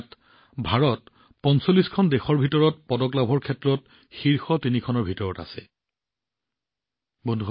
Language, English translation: Assamese, In this, India remained in the top three in the medal tally among 45 countries